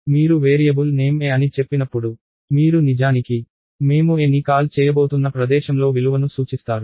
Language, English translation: Telugu, So, the name is; So, when you say a the variable name a, you are actually referring to the value at location that we are going to call a